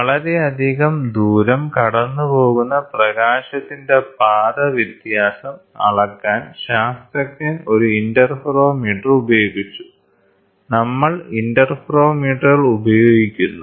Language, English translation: Malayalam, Scientist used an interferometer to measure the path difference of light that passes through a tremendous distance in space; we use interferometers